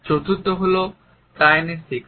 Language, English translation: Bengali, The fourth is Kinesics